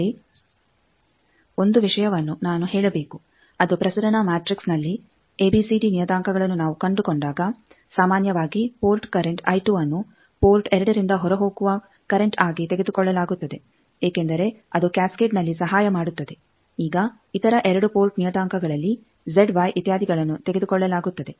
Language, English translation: Kannada, Here 1 point I want to mention that in a transmission matrix ABCD parameters when we find generally the port current I 2 is taken as it is going out from port 2 because in a cascade that helps now in other 2 port parameters Z y etcetera